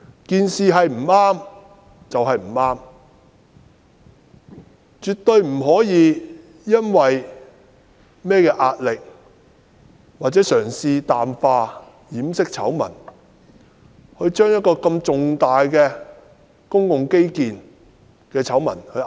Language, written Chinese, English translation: Cantonese, 不對就是不對，絕對不可以因為甚麼壓力或嘗試淡化掩飾醜聞，而把一項這麼重大的公共基建醜聞壓下去。, Mistakes are mistakes . It is absolutely unacceptable for anyone to attempt to play down or conceal such a large - scale infrastructure scandal due to any pressure